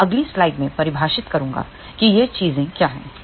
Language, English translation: Hindi, I will define in the next slide, what are these things here